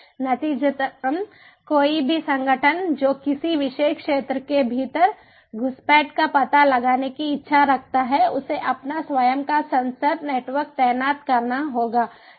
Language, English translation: Hindi, consequently, any organization, that which is to detect the intrusion with in a particular zone has to deploy its own senor network